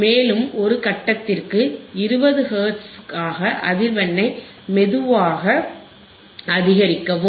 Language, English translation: Tamil, And slowly increase the frequency at a step of 20 Hertz,